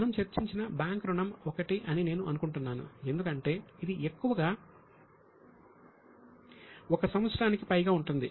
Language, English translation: Telugu, I think bank loan which we discussed was one because it is mostly for more than one year